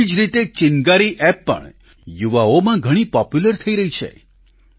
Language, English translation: Gujarati, Similarly,Chingari App too is getting popular among the youth